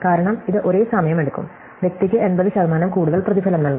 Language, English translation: Malayalam, Because, it is going to take the same amount of time and the person is going to be paid 80 percent more